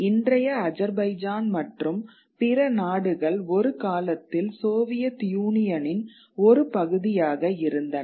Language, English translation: Tamil, You know, what are present day Azerbaijan and other nations where at one point of time part of the Soviet Union